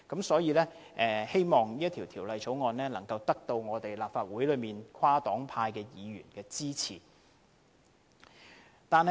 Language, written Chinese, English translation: Cantonese, 所以，我希望《條例草案》可獲得立法會內跨黨派議員的支持。, Hence I hope the Bill will have cross - party support from Members of the Council